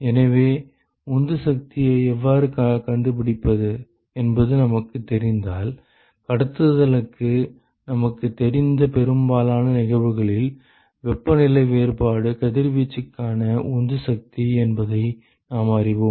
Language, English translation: Tamil, So, if we know how to find the driving force and most of the cases we know for conduction, we know that temperature difference is the driving force for radiation